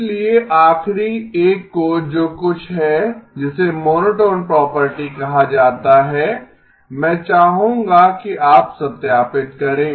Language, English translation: Hindi, So the last one I would like you to verify is something called the monotone property